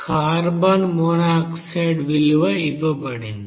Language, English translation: Telugu, Carbon monoxide also it is given to you